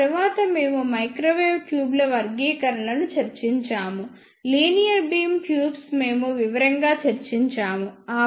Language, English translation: Telugu, After that we discuss the classifications of microwave tubes, linear beam tubes we discuss in detail